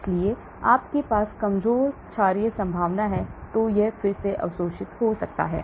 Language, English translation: Hindi, So if you have weak bases chances are it can get re absorbed